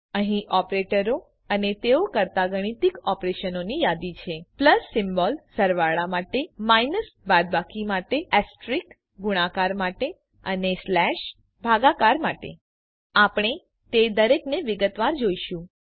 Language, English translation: Gujarati, Here is a list of operators and the mathematical operations they perform plus symbol for addition minus for subtraction asterisk for multiplication and slash for division We shall look at each of them in detail